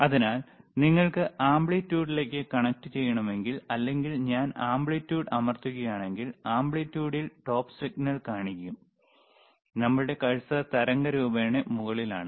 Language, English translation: Malayalam, So, if I were pressing amplitude, I will know see the top signal at the amplitude, all right one line our cursor is at the top of the waveform